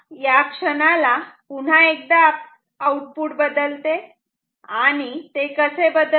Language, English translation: Marathi, So, at this moment once again the output can change and how will it change